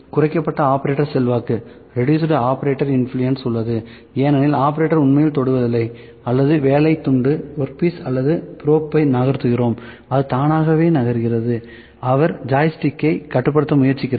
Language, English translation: Tamil, So, reduced operator influence is there because operator is not actually touching or just making the work piece or the probe to move, it is moving by itself, he is just trying to controlling the joystick